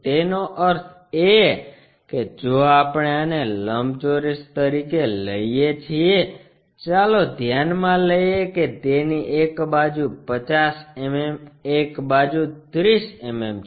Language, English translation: Gujarati, That means, if we are taking this one as the rectangle, let us consider it has maybe 50 mm on one side, 30 mm on one side